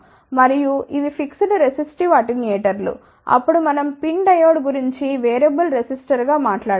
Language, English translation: Telugu, And, these were fixed resistive attenuators then we talked about PIN diode as variable resistor